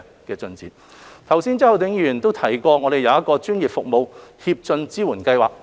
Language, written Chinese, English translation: Cantonese, 剛才周浩鼎議員也提到我們有一個專業服務協進支援計劃。, Mr Holden CHOW has also mentioned just now that we have put in place the Professional Services Advancement Support Scheme PASS